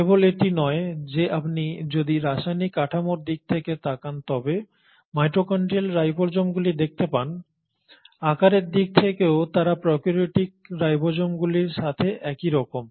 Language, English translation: Bengali, Not just that if you are to look at the mitochondrial ribosomes you find in terms of the chemical structure, in terms of their size they are very similar to prokaryotic ribosomes